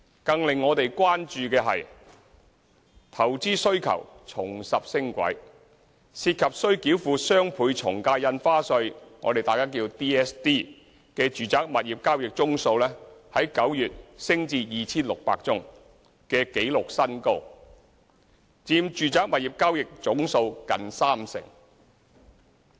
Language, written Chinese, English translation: Cantonese, 更令我們關注的是，投資需求重拾升軌：涉及須繳付雙倍從價印花稅的住宅物業交易宗數，在9月升至 2,600 宗的紀錄新高，佔住宅物業交易總數近三成。, A greater concern to us is the reacceleration of investment demand and residential property transactions involving the doubled ad valorem stamp duty DSD even reached the record high of 2 600 in September accounting for almost 30 % of total residential property transactions